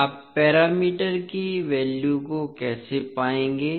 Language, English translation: Hindi, How you will find the values of parameters